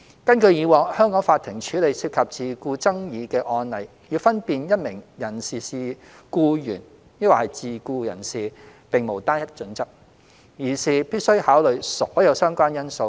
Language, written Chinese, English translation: Cantonese, 根據以往香港法庭處理涉及自僱爭議的案例，要分辨一名人士是僱員或自僱人士，並無單一準則，而是必須考慮所有相關因素。, According to past cases involving self - employment disputes handled by Hong Kong courts all related factors rather than one single criterion must be considered in determining whether a person is an employee or a self - employed person